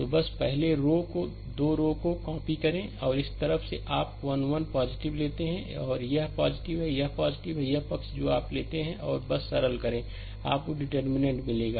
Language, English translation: Hindi, So, just just copy the first 2 rows, and this side you take a 1 1 plus, it is plus, this is plus and this side you take minus, and just simplify you will get the determinant